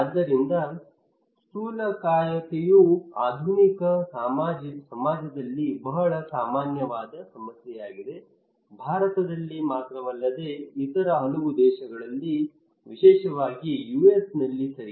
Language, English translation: Kannada, So obesity is a very common problem in modern society, okay not only in India but in many other countries especially in US